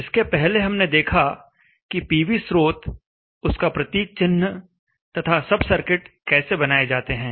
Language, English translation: Hindi, Earlier we saw how to make the PV source, the symbol, and the sub circuit